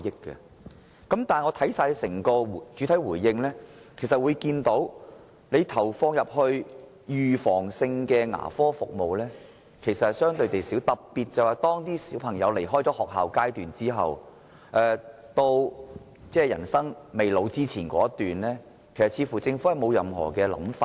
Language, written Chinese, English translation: Cantonese, 然而，我從主體答覆看到，投放在預防性牙科護理服務的資源相對較少，特別是在學童畢業離校後至步入老年之前的一段時間，政府似乎沒有任何規劃。, I have however learnt from the main reply that the resource input in preventive dental care services is relatively small . In particular the Government does not seem to have any plans for the period of time after students leave school upon graduation and before they advance into old age